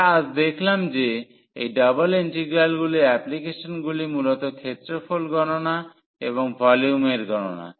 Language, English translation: Bengali, So, what we have seen today that applications of this double integrals mainly the computation of area and also the computation of volume